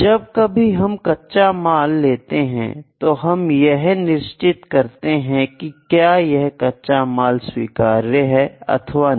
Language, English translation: Hindi, When we have to get the raw material, we check that whether the raw material that we have received is that acceptable or not